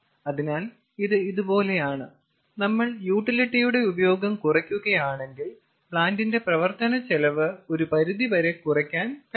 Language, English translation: Malayalam, so it is like this: if we reduce the utility, use of utility, we reduce the running cost of the plant